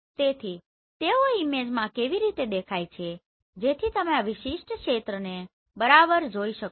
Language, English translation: Gujarati, So how they appear in the image so you can see this particular area right